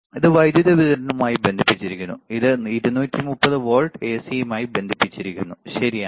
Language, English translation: Malayalam, This is connected to the power supply, this is connected to the 230 volts AC, all right